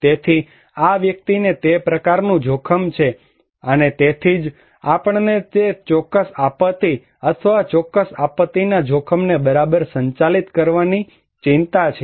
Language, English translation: Gujarati, So, this person is exposed to that kind of hazard, and that is why we have concern to manage that particular disaster or particular disaster risk right